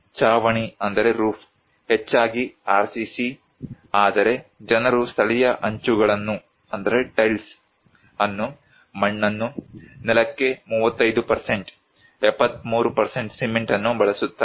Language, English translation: Kannada, Roof; mostly RCC but also people use local tiles, mud, 35 % for the floor, cement 73%